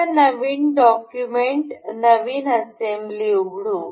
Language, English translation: Marathi, Let us open a new document, new assembly